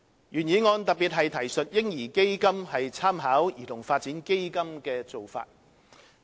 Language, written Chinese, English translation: Cantonese, 原議案特別提述"嬰兒基金"參考兒童發展基金的做法。, The original motion specifically mentions that the baby fund should make reference to the practices adopted by the Child Development Fund CDF